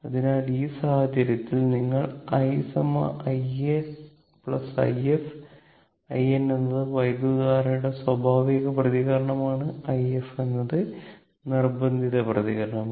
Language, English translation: Malayalam, So, in this case in this case, what we will do that we write i is equal to i n plus i f, i n is the natural response of the current and i f is the forced response of the current